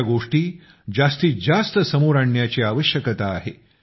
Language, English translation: Marathi, There is a need to bring such examples to the fore as much as possible